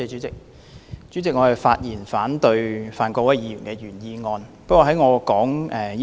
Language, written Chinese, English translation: Cantonese, 主席，我發言反對范國威議員的原議案。, President I rise to speak in opposition to Mr Gary FANs original motion